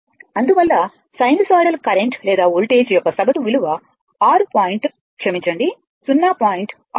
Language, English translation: Telugu, Therefore, the average value of a sinusoidal current or voltage will be 6 point ah sorry 0